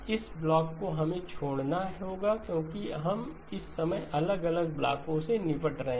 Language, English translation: Hindi, This block we have to leave out because we are dealing with time varying blocks